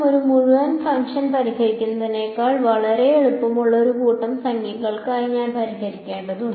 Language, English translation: Malayalam, I am just have to I just have to solve for a bunch of number which is much much easier than solving for a whole entire function